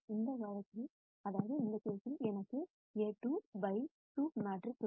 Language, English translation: Tamil, In this case I have A 2 by 2 matrix